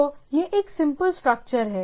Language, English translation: Hindi, So, its as a simple structure